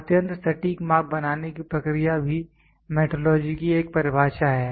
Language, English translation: Hindi, Process of making extremely precise measurement is also a definition of metrology